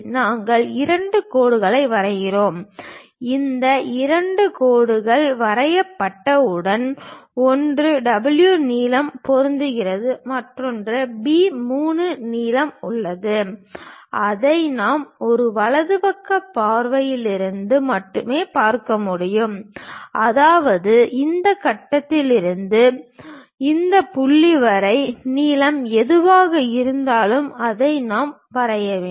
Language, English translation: Tamil, We draw two lines two lines, once these two lines are drawn one is W length matches with this one and there is a B 3 length, which we can see it only from right side view; that means, from this point to this point the length whatever it is there that we have to draw it